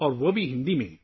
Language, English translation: Urdu, And that too in Hindi